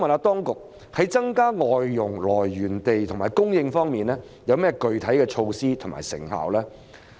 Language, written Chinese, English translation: Cantonese, 當局在增加外傭來源地及供應方面，有何具體的措施及成效？, What specific measures have the authorities put in place to increase the sources and supply of FDHs and how effective are such measures?